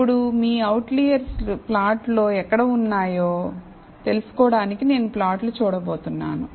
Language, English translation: Telugu, So, now, to know where your outliers lie on the plot, I am going to look at the plot